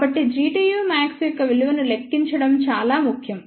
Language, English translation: Telugu, So, it is important to calculate the value of G tu max ok